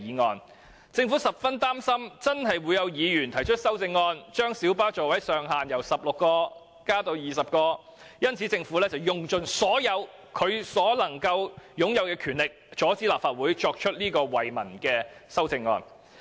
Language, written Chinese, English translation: Cantonese, 由於政府十分擔心會有議員提出修正案，將小巴座位上限由16個增至20個，故此便用盡其擁有的所有權力，阻止立法會提出這項惠民的修正案。, Since the Government is worried that Members will propose a Committee stage amendment CSA to increase the maximum seating capacity of light buses from 16 to 20 it has exploited all its powers to stop the Legislative Council from proposing such a CSA which will benefit the public